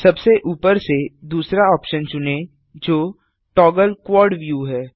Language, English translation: Hindi, Select the second option from the top that says Toggle Quad view